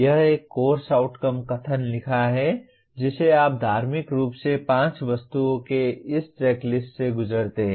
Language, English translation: Hindi, That is having written a course outcome statement you just religiously go through this checklist of 5 items